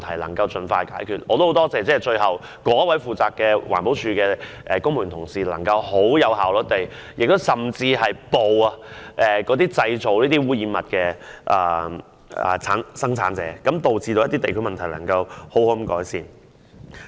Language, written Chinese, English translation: Cantonese, 我亦很感謝該名負責的環保署公務員能夠很有效率地處理問題，甚至埋伏捉拿污染物的製造者，令地區問題能夠好好改善。, I am also thankful to the EPD civil servant in charge for dealing with the problem very efficiently . They even tried to apprehend the maker of the pollutants in an ambush . With their efforts this district problem was rectified satisfactorily